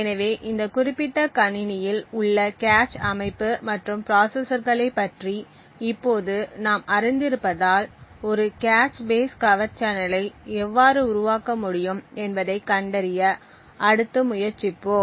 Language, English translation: Tamil, So now that we know about the cache structure and the processors within this particular machine let us next try to find out how we could actually build a cache base covert channel